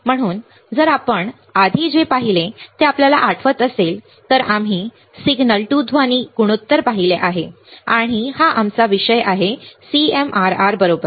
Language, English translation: Marathi, So, if you recall what we have seen earlier we have seen signal to noise ratio, and what is our said topic the topic was CMRR right